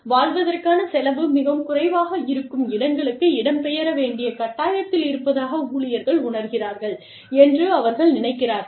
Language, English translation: Tamil, They feel that, employees feel that, they are forced to relocate to places, where the cost of living is much lower